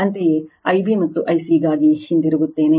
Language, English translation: Kannada, Similarly, for I b and I c so, will go back to that